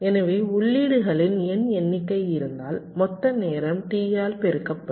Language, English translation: Tamil, ok, so if there are the n number of inputs, so the total time will be n multiplied by t